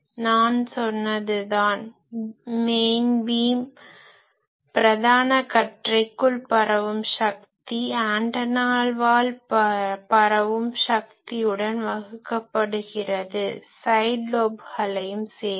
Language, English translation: Tamil, You see whatever I said, the power transmitted within main beam divided by power transmitted by the antenna; that means, including a side, lobes etcetera everything